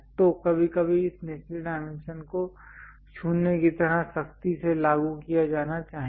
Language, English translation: Hindi, So, sometimes this lower dimensions supposed to be strictly imposed like 0